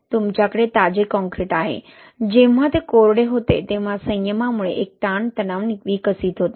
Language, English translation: Marathi, What happens, you have a fresh concrete, dries and due to restrain there is a tensile stresses developed